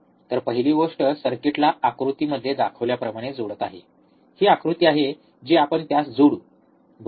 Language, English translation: Marathi, So, first thing is connect the circuit as shown in figure, this is the figure we will connect it, right